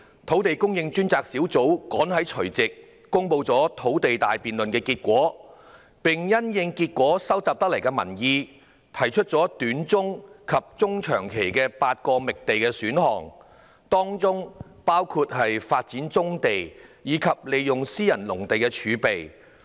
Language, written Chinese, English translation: Cantonese, 土地供應專責小組趕及在去年除夕公布"土地大辯論"的結果，並因應收集得來的民意，提出了短中期及中長期共8個覓地選項，當中包括發展棕地及利用私人農地儲備。, The Task Force on Land Supply published the result of the grand debate on land supply in time on New Years Eve last year and recommended eight short - to - medium term and medium - to - long term land supply options in the light of the public views collected including developing brownfield sites and tapping into private agricultural land reserve